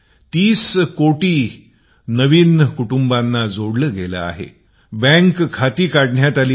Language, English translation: Marathi, Thirty crore new families have been linked to this scheme, bank accounts have been opened